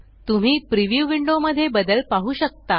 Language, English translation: Marathi, You can see the change in the preview window